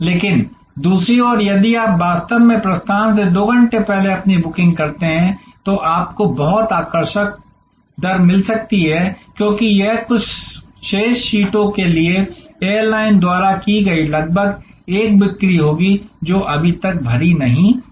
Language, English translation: Hindi, But, on the other hand if you actually make your booking 2 hours prior to departure, you might get a very attractive rate, because it will be almost a sale initiated by the air lines for the few remaining seats, which are not yet filled